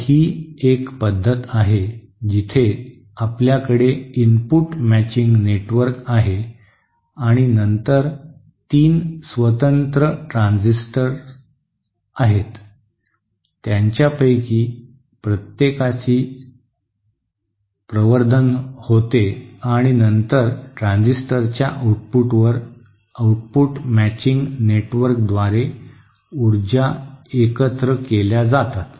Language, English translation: Marathi, So this is one method where you have an input matching network and then three individual transistors each of which produce their amplification and then finally at the output of the transistors, the powers are combined through an output matching network